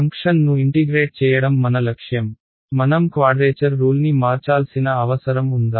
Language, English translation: Telugu, Objective is to integrate the function, do I need to change the quadrature rule